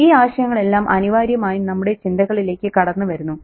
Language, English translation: Malayalam, So all these ideas inevitably come up for us to worry about